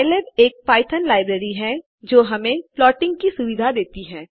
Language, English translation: Hindi, Pylab is a python library which provides plotting functionality